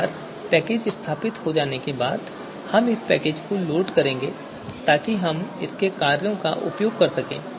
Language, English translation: Hindi, This is done now we will load this package so that we are able to use the functions which are part of this one